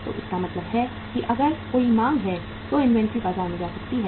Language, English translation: Hindi, So it means if there is a demand only then the inventory can go to the market